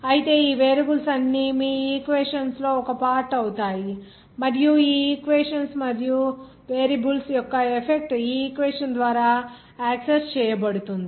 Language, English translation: Telugu, Whereas all those variables are taking part in this your equations and the effect of all those variables on those dependent variables will be accessed by this equation there